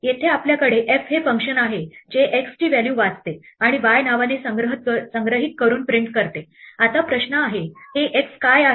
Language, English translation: Marathi, Here we have a function f which reads the values x and prints it by storing it in the name y, Now the question is: what is this x